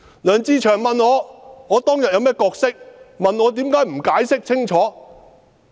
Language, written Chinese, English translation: Cantonese, 梁志祥議員問我當天有甚麼角色，問我為甚麼不解釋清楚。, Mr LEUNG Che - cheung asked what role I played on that day and why I did not explain clearly